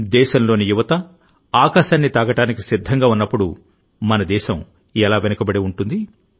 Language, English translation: Telugu, When the youth of the country is ready to touch the sky, how can our country be left behind